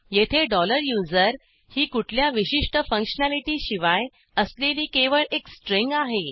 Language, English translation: Marathi, $USER is just treated as a string without any special functionality